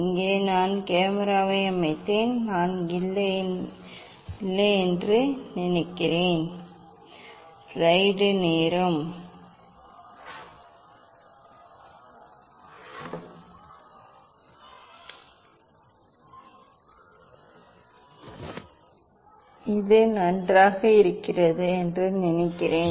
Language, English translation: Tamil, here I set camera I think I have to no I think this fine